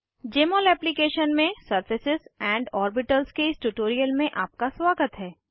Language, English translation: Hindi, Welcome to this tutorial on Surfaces and Orbitals in Jmol Application